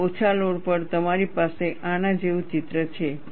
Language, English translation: Gujarati, And at the reduced load, you have a picture like this